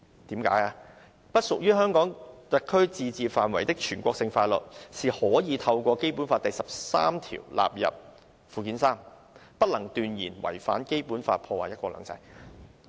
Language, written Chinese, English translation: Cantonese, 因為不屬於香港特區自治範圍的全國性法律，是可以透過《基本法》第十三條納入附件三，不能斷言違反《基本法》，破壞"一國兩制"。, For national laws outside the limits of autonomy of SAR can be included in Annex III according to Article 13 of the Basic Law and the authorities should not overtly contravene the Basic Law and undermine one country two systems